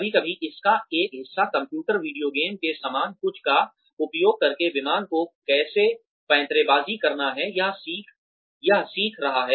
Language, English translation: Hindi, Sometimes one part of it is learning, how to manoeuvre the plane, by using something, similar to a computer video game